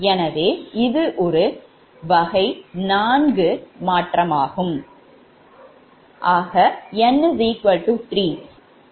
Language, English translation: Tamil, so this is actually type four modification